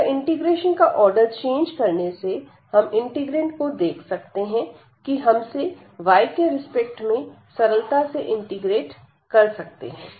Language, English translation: Hindi, So, by changing the order we can see directly looking at the integrand, that we can easily integrate with respect to y this given integrand